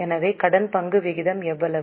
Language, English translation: Tamil, So, what is the debt equity ratio